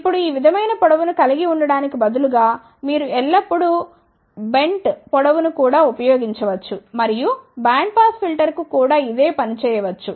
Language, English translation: Telugu, Now, instead of having a length like this, you can always use a bent length also and the same thing can be done even for bandpass filter